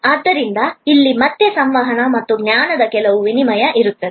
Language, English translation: Kannada, So, here again there will be some exchange of communication and knowledge